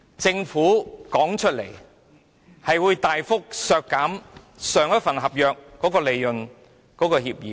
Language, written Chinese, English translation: Cantonese, 政府曾表示會大幅削減上一份合約所訂的利潤協議。, The Government has said the permitted rate of return would be slashed in the new SCA but it went back on its word once again